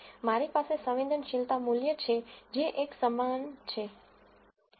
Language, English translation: Gujarati, I have the sensitivity value which is equal to one